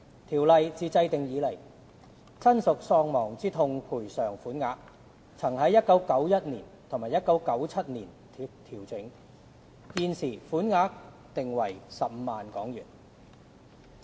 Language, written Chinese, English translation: Cantonese, 《條例》自制定以來，親屬喪亡之痛賠償款額曾在1991年及1997年調整，現時，款額訂為15萬元。, Since the enactment of the Ordinance the bereavement sum was adjusted in 1991 and 1997 . The current sum is set at 150,000